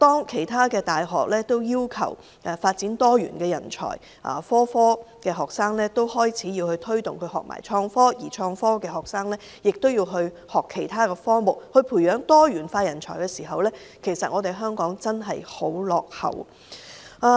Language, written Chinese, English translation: Cantonese, 其他大學着重培育多元人才，推動所有學生學習創科，而創科學生也要學習其他科目，以培養多元人才時，但香港還是很落後。, While other universities are placing emphasis on nurturing multi - faceted talents by engaging students from all subjects to learn about innovation and technology―and vice versa―those of Hong Kong are lagging behind the trend